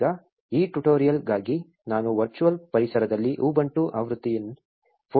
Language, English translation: Kannada, Now, for this tutorial I will be showing you how to install ubuntu version 14